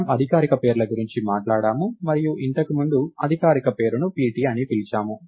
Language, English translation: Telugu, So, we have talked about formal names and so on earlier, the formal name is called pt